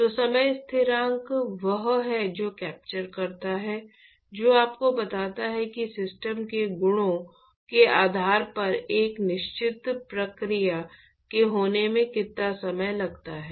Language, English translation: Hindi, So, time constants are the one which captures the; which tells you, what is the time that is taken for a certain process to occur based on the properties of the system